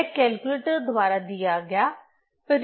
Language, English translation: Hindi, So, this is the result given by the calculator